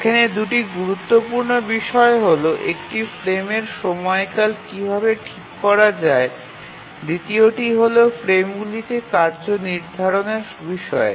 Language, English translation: Bengali, Two important aspects here, one is how to fix the frame duration, the second is about assigning tasks to the frames